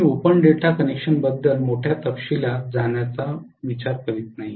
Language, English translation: Marathi, I am not planning to go into great detail about open delta connection